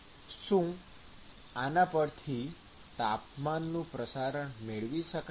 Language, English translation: Gujarati, So, with this can I get the temperature distribution